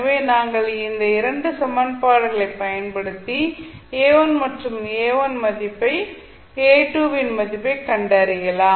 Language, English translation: Tamil, So now we got 2 equations and we can solved it and we can get the value of A2 and similarly we can get the value of A1